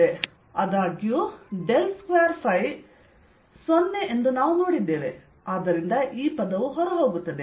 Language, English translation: Kannada, however, we have seen the del square, phi zero, so this terms drops out